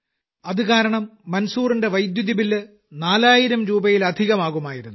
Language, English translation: Malayalam, For this reason, Manzoorji's electricity bill also used to be more than Rs